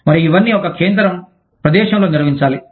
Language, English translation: Telugu, And, all this has to be managed, in a central location